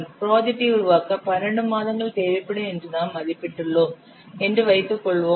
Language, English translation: Tamil, Suppose you have estimated that 12 months will be required to develop the project